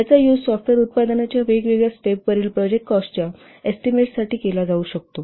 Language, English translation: Marathi, This can be used to estimate the project cost at different phases of the software product